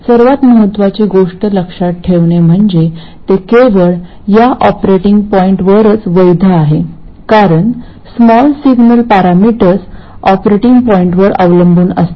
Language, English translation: Marathi, The most important thing to remember is that it is valid only over this operating point because the small signal parameters depend on the operating point